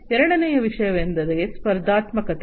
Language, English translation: Kannada, Second thing is competitiveness